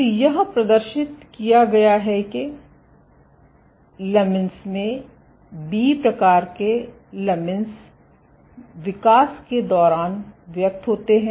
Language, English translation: Hindi, So, it has been demonstrated that lamins, B type lamins, are expressed during development